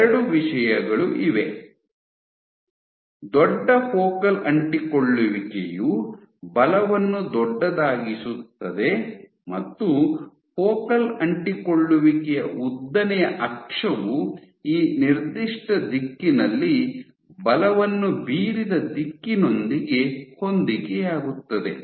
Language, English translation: Kannada, So, two things bigger the focal adhesion larger the force the long axis of the focal adhesion coincides with the direction in which the force has been exerted at that particular direction and as you go inward towards the nucleus